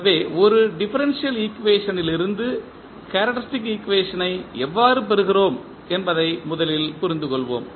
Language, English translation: Tamil, So, first we will understand how we get the characteristic equation from a differential equation